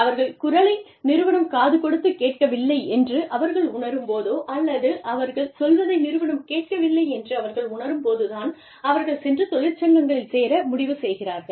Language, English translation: Tamil, It is only, when they feel, they have lost their voice, or, when they feel, that they are not being heard, that they decide to go and join, unions